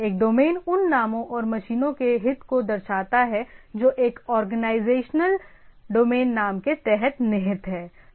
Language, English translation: Hindi, A domain represents the interset of names and machines that are contained under an organizational domain name